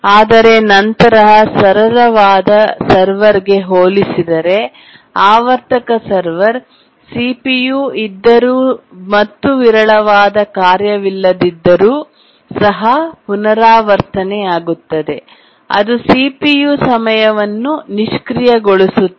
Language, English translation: Kannada, But then compared to a simple server, periodic server which just keeps on repeating and even if there is CPU, there is no sporadic task, it just idles the CPU time